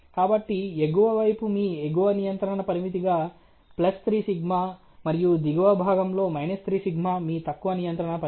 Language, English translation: Telugu, So, on the upper side you have 3σ as your +3σ as your upper control limit and 3σ on the lower side as your lower control limit